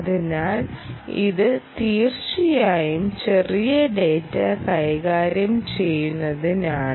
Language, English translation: Malayalam, so it is indeed for low level, low level data handling